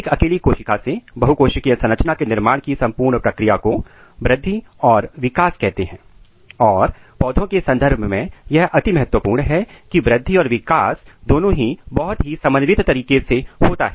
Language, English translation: Hindi, So, the entire process from a single cell to a multicellular structure is called growth and development and it is very important that in case of plants both growth and developments are highly highly coordinated